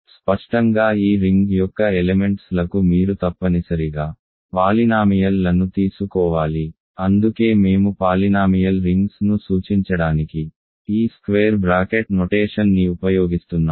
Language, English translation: Telugu, And explicitly elements of this ring look like you have to take essentially polynomials that is why we are using this square bracket notation to suggest polynomial rings